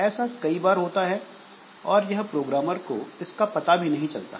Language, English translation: Hindi, So, often so this is not visible to the programmer